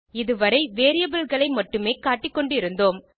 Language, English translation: Tamil, Until now we have been displaying only the variables